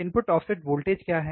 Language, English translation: Hindi, What are input offset voltages